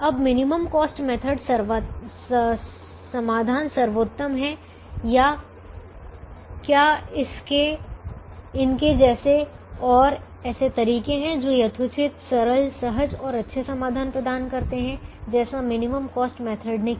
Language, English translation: Hindi, now is the minimum cost method solution optimal or are there methods such as these which are reasonably simple, reasonably intuitive and reasonably simple and gives good solutions